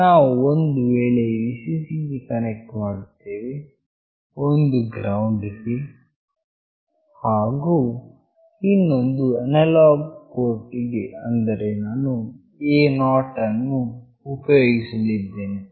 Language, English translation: Kannada, One I will be connecting to Vcc, one to GND, and one to the analog port that I will be using is A0